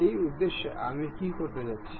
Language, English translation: Bengali, For that purpose, what I am going to do